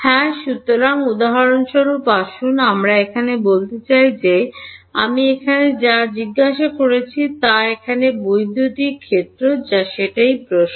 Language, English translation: Bengali, So, for example, let us say that here, I want what I am asking what is electric field over here that is the question